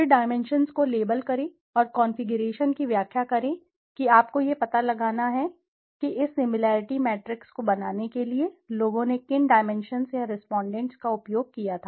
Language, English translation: Hindi, Then label the dimensions and interpret the configuration you have to find out what dimensions people had used or respondents had used in order to get in order to create this similarity matrix